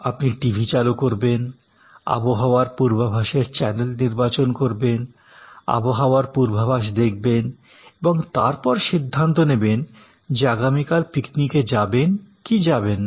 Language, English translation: Bengali, So, the flow chart is you turn on the TV, select of weather forecast channel and view the presentations of weather forecast and decide whether we will go and for the picnic tomorrow or not